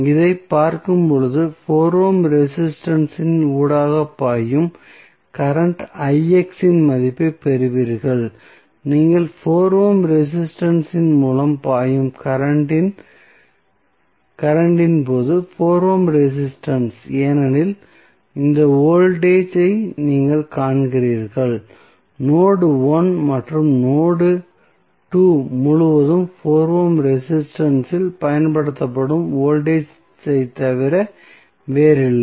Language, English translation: Tamil, When you see this what you get you get the value of current Ix which is flowing through the 4 ohm resistance, the 4 ohm resistance when you the current flowing through 4 ohm resistance is because, you see this voltage we which is across the node 1 and node 2 is nothing but voltage applied across 4 ohm resistance also